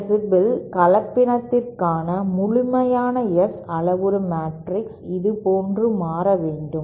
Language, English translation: Tamil, A complete S parameter matrix for a 3 dB hybrid should become like this